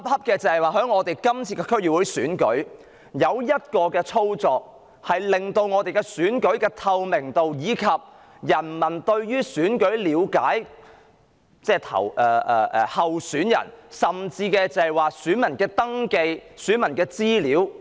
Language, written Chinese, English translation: Cantonese, 但這次區選卻有一個操作，不但損害了選舉的透明度及市民對候選人的了解，甚至隱瞞了選民登記資料。, However the DC Election has been manipulated such that it has not only jeopardized the transparency of the Election and infringed peoples access to information on candidates but also led to electors registration information being concealed